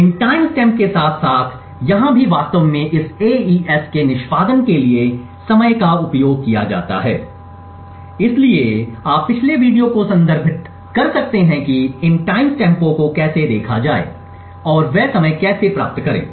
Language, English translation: Hindi, These times stamps here as well as here are used to actually time the execution of this AES, so you could refer to the previous video about the covert channels to look at how these timestamps are programmed and how they obtain the time